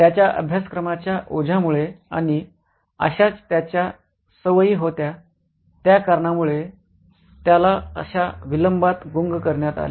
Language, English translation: Marathi, Well, he was habituated into such procrastination because of his course load and that's what his habits were